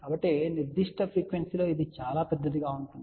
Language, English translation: Telugu, So, it is not really that at that particular frequency , it will be very very large